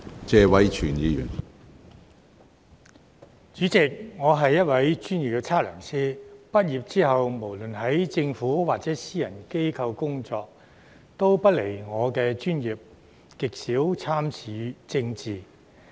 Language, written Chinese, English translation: Cantonese, 主席，我是一位專業測量師，畢業後無論在政府或私人機構工作，也離不外我的專業，極少參與政治。, President I am a professional surveyor . After graduation I have stayed in the profession whether working in the Government or private organizations and have rarely engaged in politics